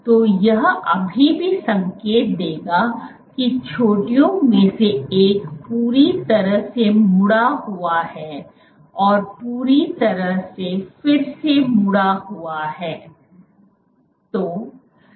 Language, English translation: Hindi, So, that that would still indicate that one of the peaks has completely folded, completely refolded